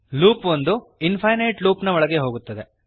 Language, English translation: Kannada, Loop goes into an infinite loop